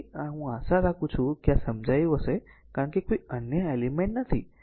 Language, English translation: Gujarati, So, this way you have to understand I hope you have understood this because no other element